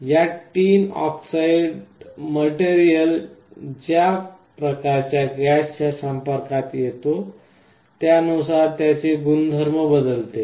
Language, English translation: Marathi, The property of this tin dioxide material varies with the kind of gas that it is being exposed to